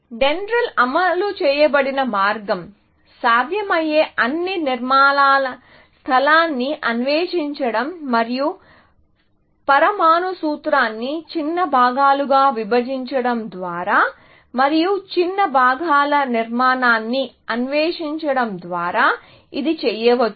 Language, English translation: Telugu, So, the way that is DENDRAL was implemented, the idea was, it will explore the space of possible structures, and this can be done by breaking down a molecular formula into smaller parts, and exploring the structure of the smaller parts